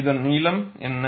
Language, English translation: Tamil, What is the length